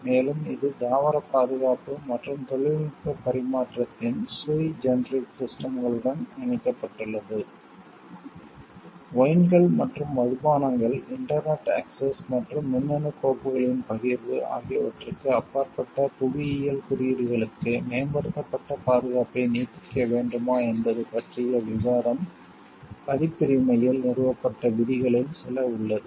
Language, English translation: Tamil, And it is linked with sui generic systems of plant protection and technology transfer, there is also debate on whether to extend enhanced protection for geographical indications beyond wines and spirits, internet access and sharing of electronic files has questioned some of the established rules in copyright